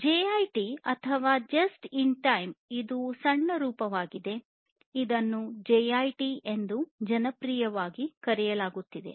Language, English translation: Kannada, JIT or just in time, this is the short form, it is also known as popularly known as JIT